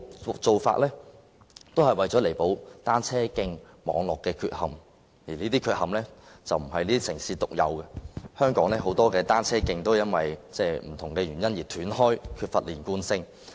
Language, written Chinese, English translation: Cantonese, 這些做法彌補了單車徑網絡的缺憾，這些缺憾不是這些城市獨有的，香港有很多單車徑因為不同原因而斷開，缺乏連貫性。, These practices have made up for the shortcomings of the cycle track networks . These shortcomings are not unique to these cities . Many cycle tracks in Hong Kong are broken up for different reasons thus lacking continuity